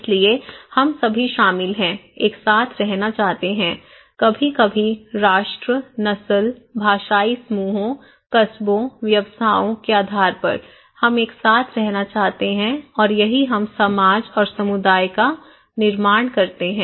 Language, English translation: Hindi, So, we all comprise, want to live together, sometimes based on nation, race, linguistic groups, town, occupations, we want to live together and thatís how we form, create society and community okay